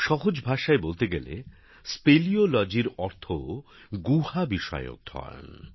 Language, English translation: Bengali, In simple language, it means study of caves